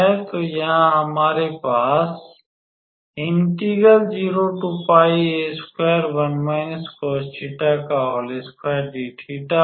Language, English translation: Hindi, So, the value will come from here